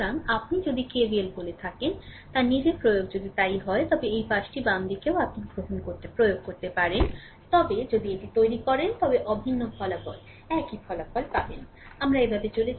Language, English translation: Bengali, So, if you apply your what you call that KVL’ so side here also this side also left hand side also you can apply, you will get the identical result same result if you make it